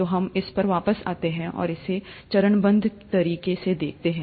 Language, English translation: Hindi, So we’ll come back to this and see it in a step by step fashion